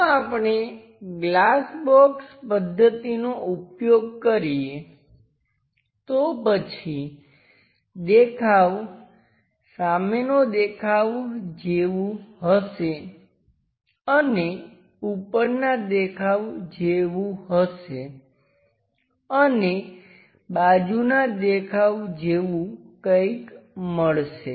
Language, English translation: Gujarati, If we are using glass box method, then the view will be something like front view and something like the top view and there will be something like a side view also we will get